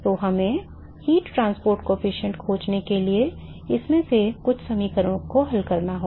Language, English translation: Hindi, So, we have to solve some of these equations in order to find the heat transport coefficient